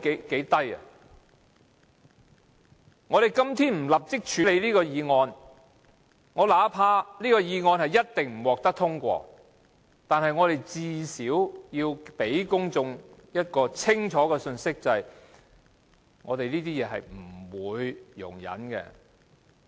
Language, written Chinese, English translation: Cantonese, 如果我們今天不立即處理這項議案——儘管這項議案一定不獲通過，但至少也要向公眾發出清楚的信息：我們對此等事情絕不容忍。, If this motion is not immediately dealt with today―although it will definitely not be approved we have to at least send out to the public a clear message We will never tolerate this kind of things